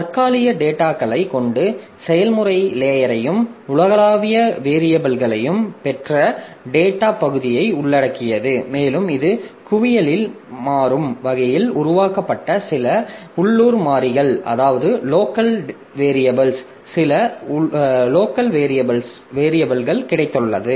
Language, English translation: Tamil, It also includes process stack which contains temporary data and the data section which has got global variables and it has got some local variables in the, some dynamically created local variables in the heap